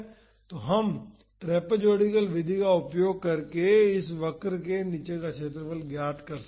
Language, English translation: Hindi, So, we can find the area under this curve using the trapezoidal method